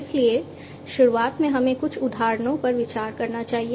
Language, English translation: Hindi, So, at the outset let us consider a few examples